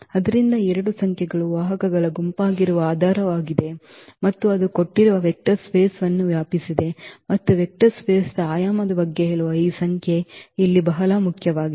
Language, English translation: Kannada, So, these two numbers are the basis that is the set of the vectors and that is that is span the given vector space and this number here which is which tells about the dimension of the vector space both are very important